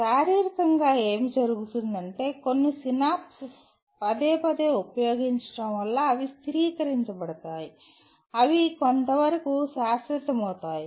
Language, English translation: Telugu, So physiologically what happens is, certain synapses because of repeated use they get stabilized, they become somewhat semi permanent